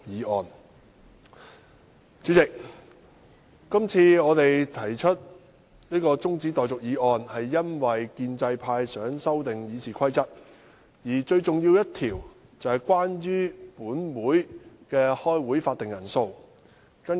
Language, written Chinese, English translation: Cantonese, 代理主席，我們今次提出中止待續議案是因為建制派想修訂《議事規則》，而最重要的一項與本會舉行會議的法定人數有關。, Deputy President we must move an adjournment motion this time around because the pro - establishment camp wants to amend RoP and the most important amendment is related to the quorum for the meeting of the Legislative Council